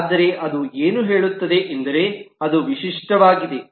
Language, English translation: Kannada, But what it says is that it is unique